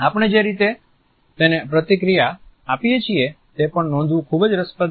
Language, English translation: Gujarati, The ways in which we respond to it are also very interesting to note